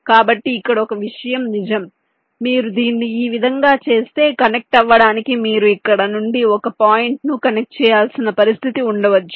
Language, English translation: Telugu, so here one thing is true: that if you do it in this way, there may be a situation where you need to connect a point from here to a connect, say, say, some point here, let say you want to connect here to here